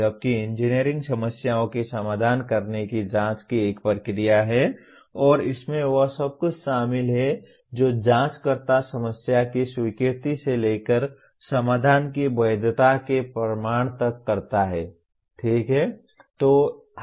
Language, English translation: Hindi, Whereas engineering is a process of investigation of how to solve problems and includes everything the investigator does from the acceptance of the problem to the proof of the validity of the solution, okay